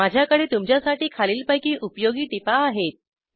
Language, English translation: Marathi, I have the following usefull tips for you